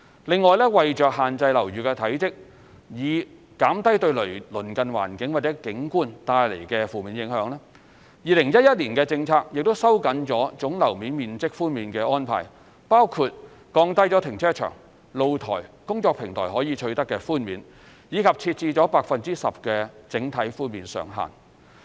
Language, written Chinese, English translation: Cantonese, 另外，為限制樓宇體積，以減低對鄰近環境或景觀帶來的負面影響 ，2011 年的政策亦收緊了總樓面面積寬免的安排，包括降低停車場、露台、工作平台可取得的寬免，以及設置了 10% 的整體寬免上限。, Besides to contain building bulk and reduce the adverse environmental or visual impacts to its surrounding areas the 2011 policy has tightened the GFA concession arrangements including lowering the level of concessions for car parks balconies and utility platforms and imposing an overall cap of 10 % on GFA concessions